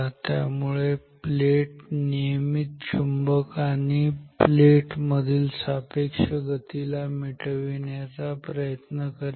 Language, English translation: Marathi, So, the plate will always try to eliminate the relative motion between the magnet and the plate